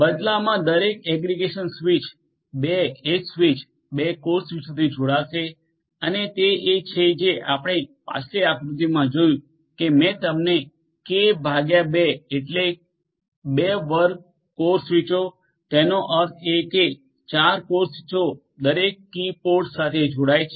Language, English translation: Gujarati, Each aggregation switch in turn will be connecting to 2 edge switches and 2 core switches and that is what we have seen in the previous diagram that I had shown you and k by 2 that means, 2 square core switches; that means, 4 core switches each of which will connect to each of these different key pods